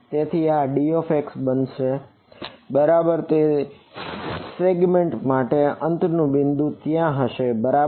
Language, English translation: Gujarati, So, this will be d x right the endpoints for each segment will be there right